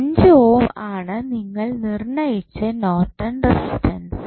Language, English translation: Malayalam, So, you can straight away say that the Norton's resistance would be 5 ohm